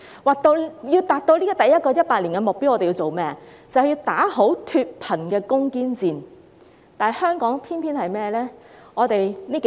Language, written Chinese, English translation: Cantonese, 若要達到第一個100年的目標，我們要打好脫貧攻堅戰，但香港偏偏是怎樣呢？, To achieve the goal of the first centenary we need to win the battle against poverty . But what is happening in Hong Kong?